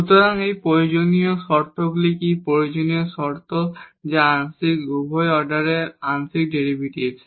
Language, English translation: Bengali, So, these are the necessary conditions what are the necessary conditions that the partial both the first order partial derivatives